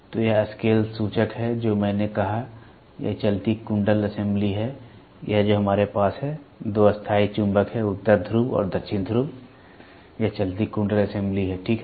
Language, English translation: Hindi, So, this is the scale pointer which I said; this is the moving coil assembly, this is the hair spring which we have; there are the two permanent magnets north pole and south pole, moving coil assembly is this is the moving coil assembly, ok